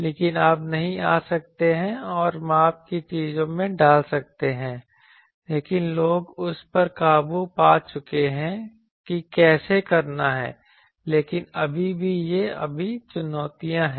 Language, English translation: Hindi, But ship you cannot come and put into an measurement things, so but people have overcome that how to do that, but still these are all challenges